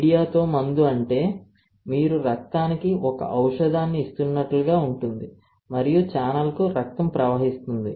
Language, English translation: Telugu, Drug with media is like as if you are giving a drug to the blood and blood flows to the channel, alright